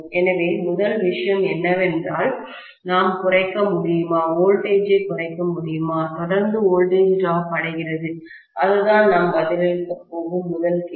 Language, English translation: Tamil, So, first thing is whether we can decrease, can we reduce the voltage, the series voltage drops, that is the first question that we are going to answer